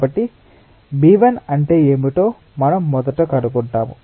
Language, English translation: Telugu, so we first find what is b one